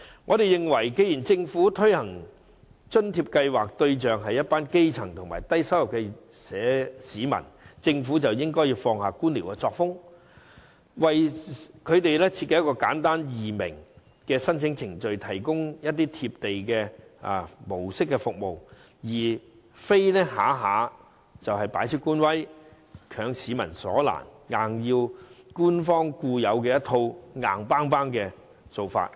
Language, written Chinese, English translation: Cantonese, 我們認為，既然政府推行津貼計劃，對象是一群基層和低收入市民，政府便應放下官僚作風，為他們設計一套簡單易明的申請程序，提供"貼地"模式的服務，而非動輒擺出官威，強市民所難，硬要跟從官方固有那套硬蹦蹦的做法。, In our opinion since the Government has introduced LIFA which is targeted at the grass roots and low - income groups it should give up its bureaucratic practices and design a set of simple procedures easy to understand . It should offer a down - to - earth style of services rather than displaying the superiority of government officials by requiring the public to follow the inflexible approach of the Government putting the public in a difficult position